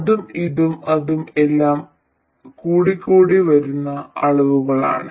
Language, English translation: Malayalam, This and that and that, all are incremental quantities